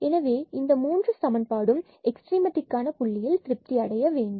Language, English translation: Tamil, So, we have these 3 equations which has to be satisfied at the point of extrema there